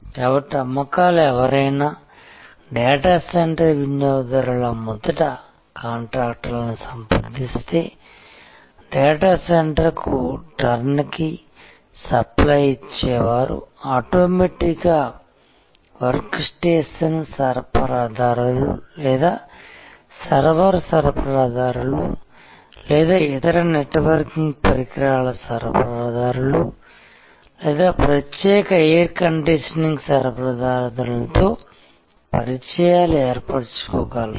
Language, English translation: Telugu, So, that the sales, so if somebody a data center customer a first contacts a contractor who will give a turnkey supply of the data center will automatically lead to contacts with work station suppliers or server suppliers or other networking equipment suppliers or the specialized air conditioning supplier and so on